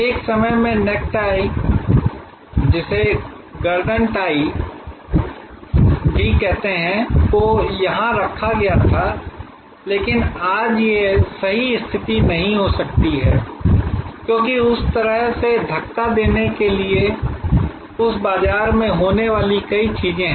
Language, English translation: Hindi, At one time, necktie was placed here, but it may not be the right position today, because there are many things to happening in that market to do push it this way